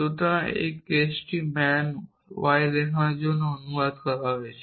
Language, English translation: Bengali, So, this case translated to show man y so our query is about